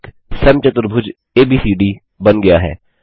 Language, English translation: Hindi, A square ABCD is drawn